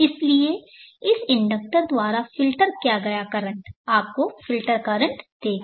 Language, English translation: Hindi, So which one filtered by this inductor will give you a filtered current